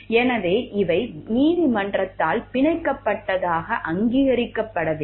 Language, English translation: Tamil, So, thus these are not recognized as binding by the court